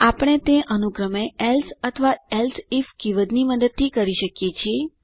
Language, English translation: Gujarati, We can do this by using else or elseif keyword respectively